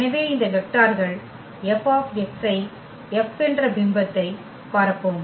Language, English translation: Tamil, Therefore, these vectors F x i will span the image F